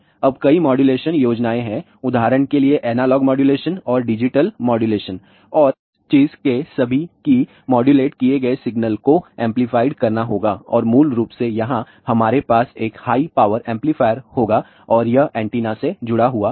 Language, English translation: Hindi, Now, there are several modulation schemes are there, for example, analog modulation and digital modulation and the all of this thing that modulated signal has to be amplified and basically the here, we will have a high power amplifier and that is connected to the antenna